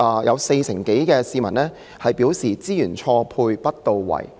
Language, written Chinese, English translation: Cantonese, "有四成多受訪市民表示"資源錯配不到位"。, What is your comment on this? . Over 40 % of the respondents chose the option Resource mismatch and misallocation